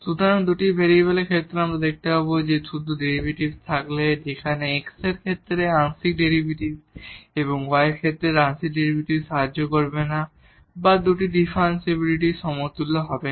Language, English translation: Bengali, So, there in case of the two variables what we will see that just having the derivatives, where the partial derivative with respect to x and partial derivatives derivative with respect to y will not help or will not be equivalent to two differentiability